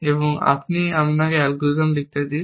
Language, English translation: Bengali, Now, let me do this here, and let me write the algorithm, here